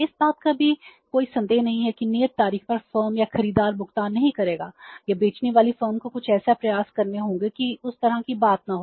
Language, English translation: Hindi, There is not even a out of the doubt that on the due date the firm or the buyer will not make the payment or the firm selling firm has to make some efforts that kind of thing is not there